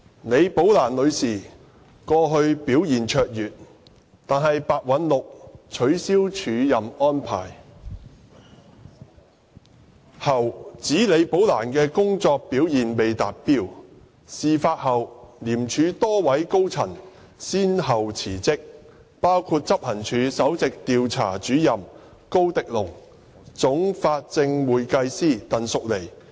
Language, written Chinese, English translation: Cantonese, 李寶蘭女士過去表現卓越，但白韞六取消署任安排後，指李寶蘭的工作表現未達標，事發後廉署多位高層人員先後辭職，包括執行處首席調查主任高迪龍和總法證會計師鄧淑妮。, Despite Ms Rebecca LIs brilliant performance in the past Simon PEH alleged after ceasing her acting arrangement that her work performance was below par . Subsequently a number of high - ranking officers in ICAC resigned one after another including Mr Dale KO Principal investigator of the Operations Department and Ms Melissa TANG Chief Forensic Accountant